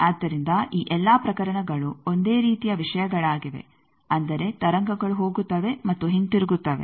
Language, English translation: Kannada, So, all these cases are the same type of thing that waves they are going and coming back